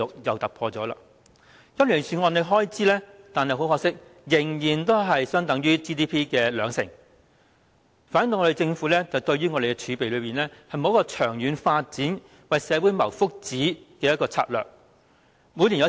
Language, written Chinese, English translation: Cantonese, 可是，很可惜，今年預算案的公共開支卻仍然只相等於 GDP 的兩成，反映政府對儲備並無長遠發展及為社會謀福祉的策略。, Unfortunately however the estimate of public expenditure in the Budget this year is maintained at being 20 % of the Gross Domestic Product GDP which reflects that the Government does not have any strategy on using the reserves as a means to promote long - term development and well - being of society